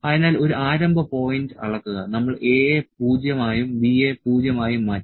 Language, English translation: Malayalam, So, measure a start point, we changed A to 0 and B to 0